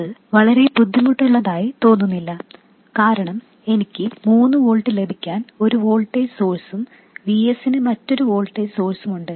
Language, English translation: Malayalam, And that doesn't appear to be very difficult because I have a voltage source to get 3 volts and I have another voltage source for VS